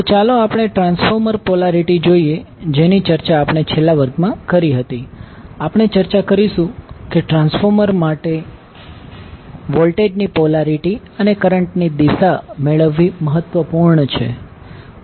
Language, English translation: Gujarati, So, let us see, the transformer polarity which we discuss in the last class, we discuss that it is important to get the polarity of the voltage and the direction of the current for the transformer